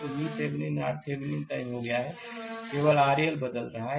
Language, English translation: Hindi, So, V Thevenin is fixed R Thevenin is fixed only R L is changing